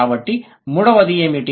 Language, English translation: Telugu, So, what is the third one